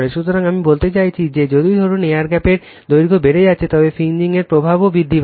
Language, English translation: Bengali, So, I mean if it is the suppose if this air gap length increases, the fringing effect also will increase